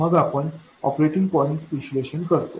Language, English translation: Marathi, Then what do you do the operating point analysis